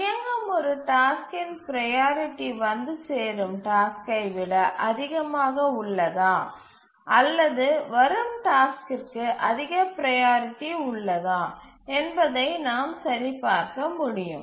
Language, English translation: Tamil, We should be able to check whether the priority of a task that is running is greater that the arriving task or the arriving task has the higher priority